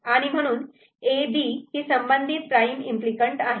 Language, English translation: Marathi, So, B prime C is the corresponding prime implicant